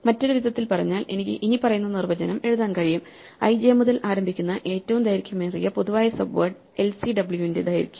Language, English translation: Malayalam, In other words, I can now write the following definition, I can say that the longest common the length of the longest common subword l c w starting from i j